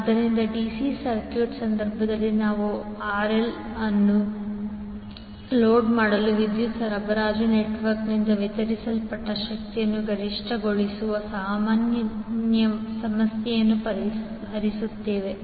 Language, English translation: Kannada, So, in case of DC circuit we solve the problem of maximizing the power delivered by the power supplying network to load RL